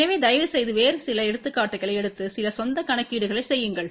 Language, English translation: Tamil, So, please take some different examples and do some own calculation